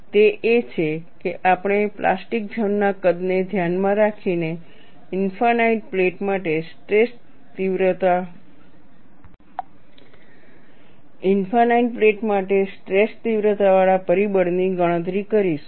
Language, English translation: Gujarati, What we will do is we will calculate the stress intensity factor for an infinite plate considering the plastic zone size